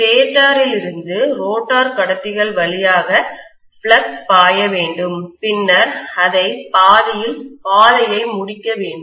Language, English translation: Tamil, From the stator, the flux has to flow through the rotor conductors and then it should complete the path